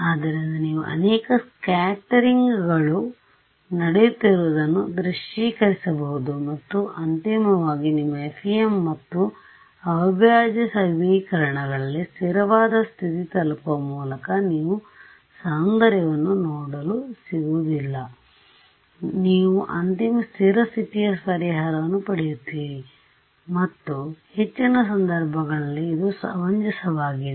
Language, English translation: Kannada, So, you can visualize multiple scatterings is happening and then finally, reaching a steady state value in your FEM and integral equations you do not get to see that beauty you just get final steady state solution and which is reasonable in most cases reasonable ok